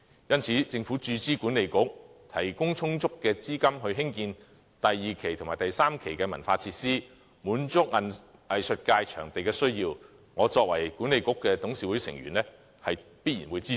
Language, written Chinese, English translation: Cantonese, 因此，政府注資西九管理局，提供充足的資金興建第二期及第三期的文化設施，滿足藝術界對場地的需要，我作為西九管理局的董事會成員，必然會支持。, Therefore the Government made further injection into WKCD Authority providing adequate funding for the construction of Phases 2 and 3 cultural facilities to satisfy the demand of venues by the arts sector . I will certainly give my support to the move as a board member of WKCD Authority